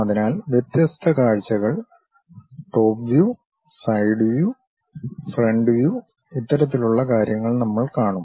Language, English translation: Malayalam, So, different views, top view, side view, front view these kind of things we will see